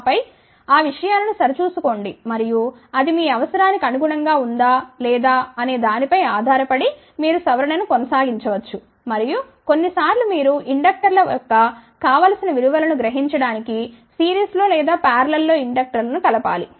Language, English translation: Telugu, And, then check those things and depending upon whether it needs your requirement or not, you can keep on doing the modification and sometimes may be you can add inductors in series or in parallel to realize the desired value of inductors